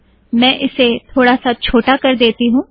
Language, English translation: Hindi, Let me make this slightly smaller